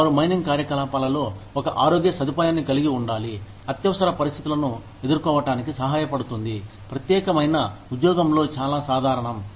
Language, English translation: Telugu, They have to have, a health facility, within their mining operations, that can help deal with, these emergencies, that are very common, in that particular job